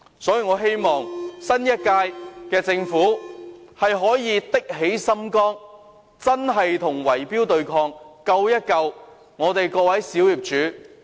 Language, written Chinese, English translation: Cantonese, 所以，我希望新一屆政府可以下定決心打擊圍標，救救各位小業主。, Therefore I hope that the new Government can have the resolve to combat bid - rigging and rescue the small property owners